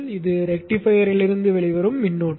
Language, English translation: Tamil, This is the current coming out of the rectifier